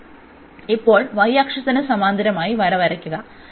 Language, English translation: Malayalam, So, now draw the line parallel to the y axis